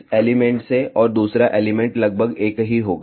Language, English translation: Hindi, From this element and the other element will be approximately same